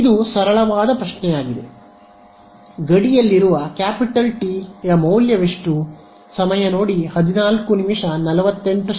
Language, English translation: Kannada, It is a very simple question on the boundary what is the value of capital T